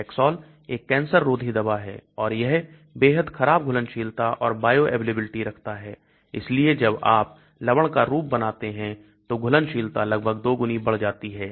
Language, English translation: Hindi, Taxol is an anti cancer drug and it has got extremely poor solubility and bioavailability so when you make a salt form the solubility increases almost double